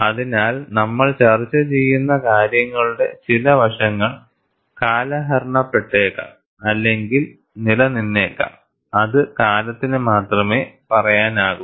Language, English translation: Malayalam, So, certain aspects of whatever we discuss, may get outdated or may remain; only time will say